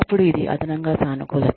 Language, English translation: Telugu, Then, it is a positive addition